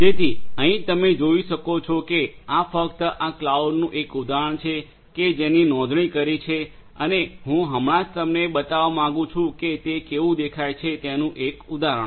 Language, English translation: Gujarati, So, here as you can see this is just an instance of this cloud that we are subscribe to and I just wanted to give you and a instance of how it looks like